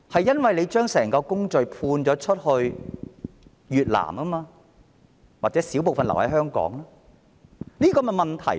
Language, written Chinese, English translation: Cantonese, 因為當局將整個工序判給越南——或者少部分留在香港——這就是問題所在。, This is because the Bureau has outsourced the entire work process to Vietnam―perhaps a small portion is done in Hong Kong―and this is where the problem lies